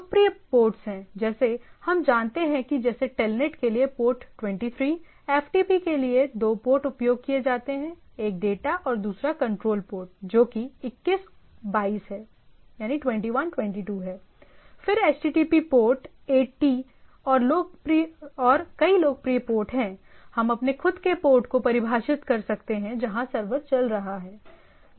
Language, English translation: Hindi, There are popular ports like what we know that Telnet like port 23, FTP is port 21, rather there are 2 ports, data and control port 21, 22, then HTTP port 80 and so and so forth these are popular port, but you can define your own port where the server is running